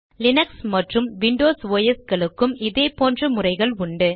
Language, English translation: Tamil, Similar methods are available in other operating systems such as Linux and Windows